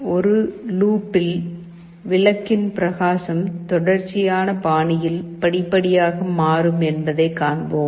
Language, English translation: Tamil, So, in a loop we will see that the brightness of the bulb will progressively change in a continuous fashion